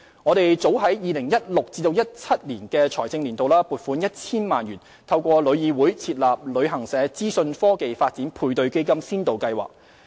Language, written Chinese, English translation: Cantonese, 我們早於 2016-2017 財政年度已撥款 1,000 萬元，透過旅議會設立"旅行社資訊科技發展配對基金先導計劃"。, As early as the 2016 - 2017 fiscal year 10 million was earmarked to establish the Pilot Information Technology Development Matching Fund Scheme for Travel Agents the Scheme through TIC